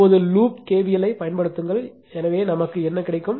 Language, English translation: Tamil, Now, apply KVL to loop this one right, so what we will get